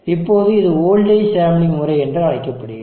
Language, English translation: Tamil, Now this is called the voltage sampling method